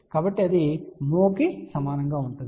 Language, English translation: Telugu, So, that will be equal to mho